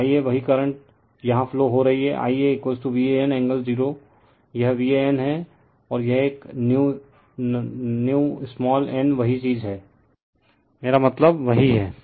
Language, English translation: Hindi, So, I a the same current is flowing here I a is equal to V a n angle 0 , this is your V a n and this is a new small n same thing right same , I will meaning is same